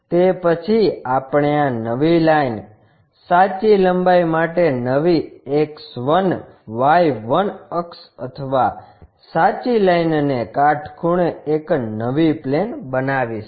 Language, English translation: Gujarati, Then, we will construct a new axis a new X 1, Y 1 axis or plane perpendicular to this true line, true length